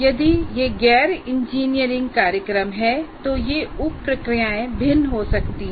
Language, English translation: Hindi, If it is non engineering program, the sub processes may differ